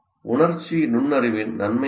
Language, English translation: Tamil, And what are the benefits of emotional intelligence